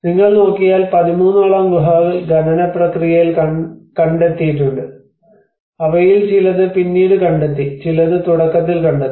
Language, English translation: Malayalam, If you look at there are about 13 caves which has been discovered in the excavation process and some of them have been discovered much later and some were discovered in the beginning